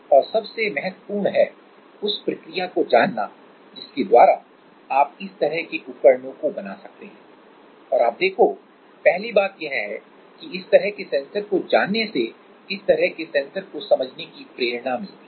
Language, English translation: Hindi, And most importantly that processes by which you can make this kind of devices right and you see that one thing is that knowing this kind of sensors having an idea getting familiarized with this kind of sensors